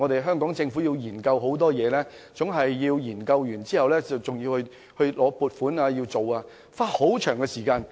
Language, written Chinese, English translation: Cantonese, 因為政府要進行多重研究，還要經過立法會撥款，需要花很長時間。, In the process it will take a long time for the Government to conduct numerous studies and submit the proposals to the Legislative Council for funding support